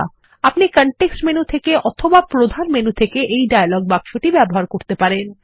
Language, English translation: Bengali, You can access these dialog boxes either from the Context menu or from the Main menu